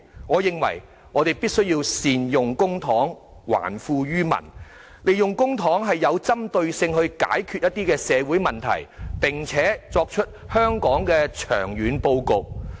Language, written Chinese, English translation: Cantonese, 我認為我們必須善用公帑，還富於民，利用公帑針對性地解決一些社會問題，並且為香港作出長遠布局。, I think we must use public money properly return wealth to the people find targeted solutions to some social ills with public money and formulate long - term planning for Hong Kong